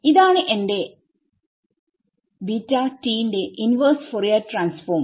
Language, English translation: Malayalam, So, if I want to take the inverse Fourier transform of this